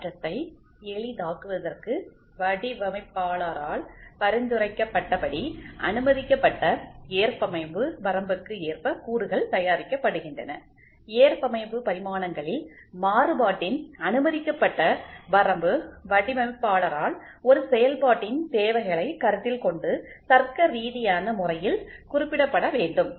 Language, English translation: Tamil, The components are manufactured in accordance with the permissible tolerance limit as suggested by the designer to facilitate interchangeability, tolerance the permissible limit of variation in dimensions have to be specified by the designer in a logical manner giving due consideration to the functioning requirement